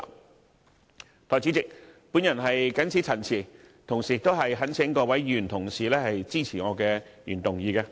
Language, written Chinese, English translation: Cantonese, 代理主席，我謹此陳辭，同時懇請各位議員支持我的原議案。, With these remarks Deputy President I implore Members to support my original motion